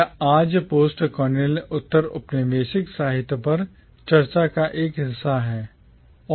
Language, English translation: Hindi, It is very much a part of discussions on postcolonial literature today